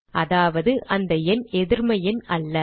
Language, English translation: Tamil, It means that the number is non negative